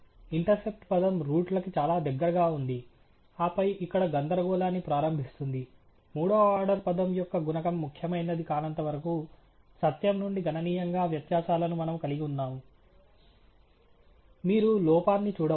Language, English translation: Telugu, The intercept term is pretty close to the truth, and then starts the jumble tumble here, that we have the estimates deviating from the truth significantly to the extent that the coefficient on the third order term is not significant; you can look at the error